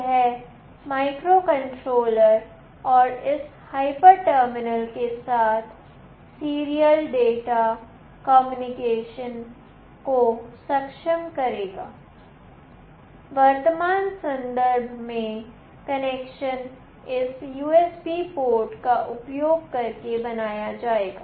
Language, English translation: Hindi, This will enable the serial data communication with the microcontroller and this hyper terminal connection in the present context shall be made using this USB port